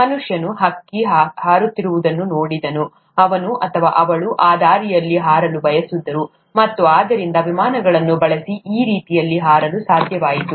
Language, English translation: Kannada, Man saw a bird flying, he or she wanted to fly that way, and therefore made it possible to fly that way using airplanes